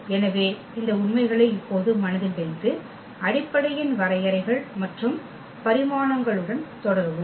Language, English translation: Tamil, So, keeping these facts in mind now we will continue with the definitions of the basis and the dimensions